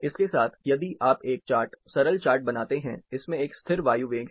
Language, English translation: Hindi, With this, if you make a chart, simple chart, again this has a constant air velocity